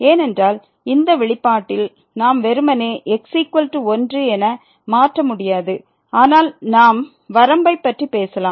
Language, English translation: Tamil, Because we cannot simply substitute as is equal to in this expression, but we can talk about the limit